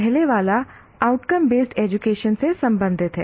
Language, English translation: Hindi, The first one is related to outcome based education